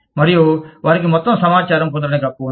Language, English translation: Telugu, And, they have a right, to get all the information